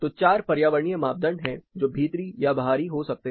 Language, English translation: Hindi, So, four environmental variables it can be outdoor or indoor